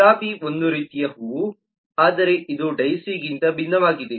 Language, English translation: Kannada, rose is a kind of flower, but it is different from daisy